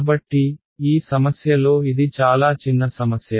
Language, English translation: Telugu, So, in this problem it is a very small toy problem